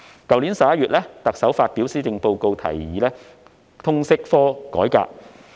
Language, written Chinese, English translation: Cantonese, 特首在去年11月發表施政報告時提議改革通識科。, In the Policy Address delivered in November last year the Chief Executive proposed a reform of the LS subject